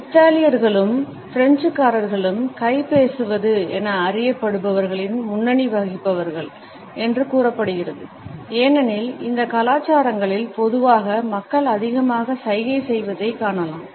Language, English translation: Tamil, It is said that Italians and the French are the leading users of what has come to be known as hand talking, because in these cultures normally we find people gesticulating more